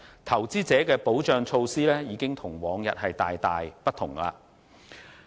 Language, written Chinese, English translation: Cantonese, 投資者的保障措施已與往日大為不同。, The investor protection measures are now very different from those in the past